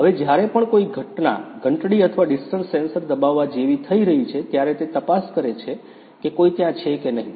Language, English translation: Gujarati, Now whenever some event is happening like pressing a bell or distance sensor checking if someone is there or not